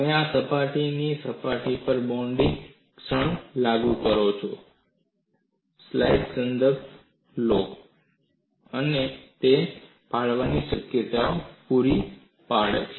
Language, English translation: Gujarati, You apply a bending moment on this surface and this surface, and it provides a tearing action